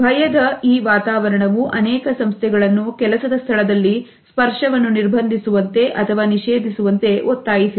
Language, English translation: Kannada, This climate of fear has forced many organizations to prohibit the use of touch in the workplace